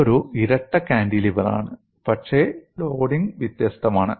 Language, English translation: Malayalam, It is a double cantilever, but the loading is different